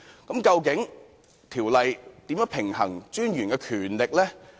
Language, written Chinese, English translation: Cantonese, 究竟條例如何平衡專員的權力？, How exactly does the Bill strike a balance regarding the powers of MA?